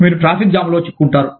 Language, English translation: Telugu, You get stuck in a traffic jam